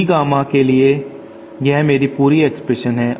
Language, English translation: Hindi, This is my complete expression for D Gamma